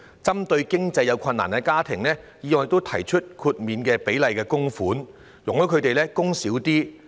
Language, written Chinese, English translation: Cantonese, 為協助有經濟困難的家庭，議案亦提出設立豁免比例供款，容許該等家庭減少供款。, In order to aid families in financial difficulties the motion also proposes the provision of exemption from making full contributions to lower their contribution amount